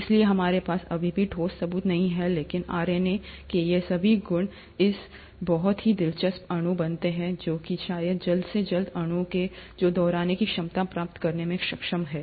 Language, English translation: Hindi, So we still don’t have concrete proof, but all these properties of RNA make it a very interesting molecule for it to be probably the earliest molecule capable of acquiring the ability to replicate